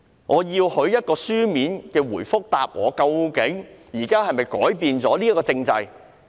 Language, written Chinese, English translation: Cantonese, 我要他給我一個書面回覆，究竟現時是否改變了這個體制？, I wanted him to give me a written reply on when such changes were made to the system